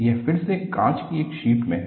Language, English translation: Hindi, This is again in a sheet of glass